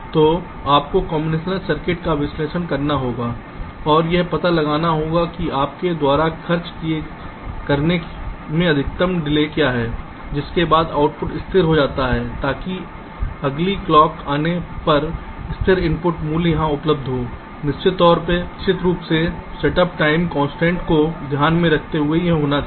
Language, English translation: Hindi, so you have to analyze the combinational block and find out what is the maximum delay you have to spend after which the output gets stabilized so that when the next clock is comes, the stable input value should be available here, of course taking into account the set up time constraint as well